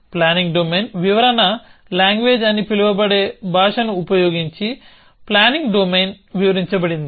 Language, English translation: Telugu, The planning domain is described using a language called a planning domain description language